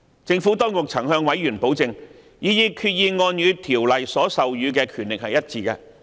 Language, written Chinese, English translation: Cantonese, 政府當局曾向委員保證，擬議決議案與《條例》所授予的權力一致。, The Administration has assured members that the proposed resolution is consistent with the authority conferred by the Ordinance